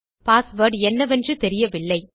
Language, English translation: Tamil, I am not sure about my password